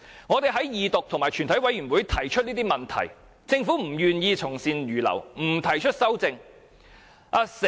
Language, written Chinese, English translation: Cantonese, 我們在二讀及全體委員會階段提出這些問題，政府不願意從善如流，不提出修正案。, We put forward these issues during the Second Reading and Committee stage of the whole Council but the Government is reluctant to accept the good proposals and propose amendments